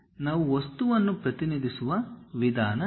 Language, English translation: Kannada, This is the way we represent the material